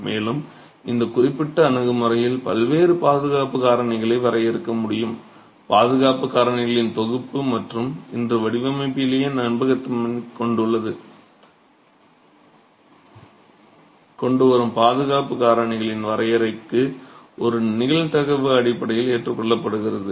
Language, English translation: Tamil, And in this particular approach, it's possible to define different safety factors, a set of safety factors and today a probabilistic basis is adopted for the definition of these safety factors bringing in reliability into the design itself